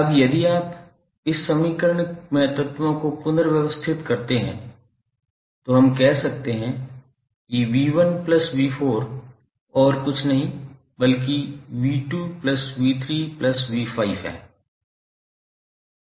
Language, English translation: Hindi, Now if you rearrange the elements in this equation then we can say that v¬1¬ plus v¬4¬ is nothing but v¬2 ¬plus v¬3¬ plus v¬5 ¬